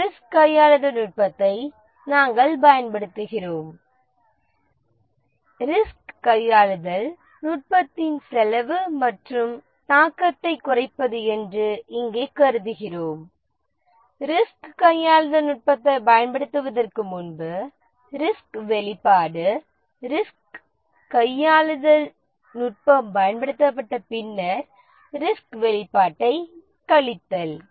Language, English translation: Tamil, Let's say we deploy some risk handling technique and the risk handling technique, the cost of the risk handling technique, and the cost of the risk handling technique and the reduction of the impact we consider this year that the reduction in impact is the risk exposure before deploying the risk handling technique minus the risk exposure after the risk handling technique is deployed